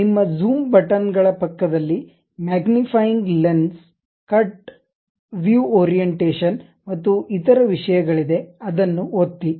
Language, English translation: Kannada, Next to your Zoom buttons, magnifying lens, cut and other thing there is something like View Orientation, click that